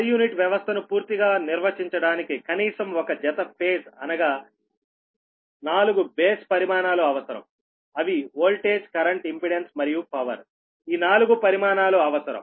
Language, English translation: Telugu, to completely define a per unit system minimum, your four base quantities are required, that is voltage, current, your impedance and power